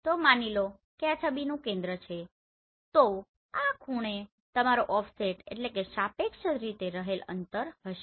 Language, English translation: Gujarati, So suppose this is the center of the image so this angle will be your offset